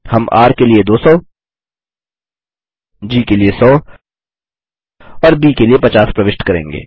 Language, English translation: Hindi, We will enter 200 for R, 100 for G and 50 for B